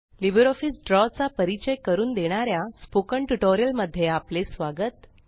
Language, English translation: Marathi, Welcome to the Spoken Tutorial on Introduction to LibreOffice Draw